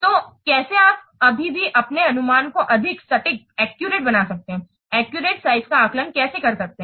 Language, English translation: Hindi, So, how you can still make your estimation more accurate, how you can do accurate size estimation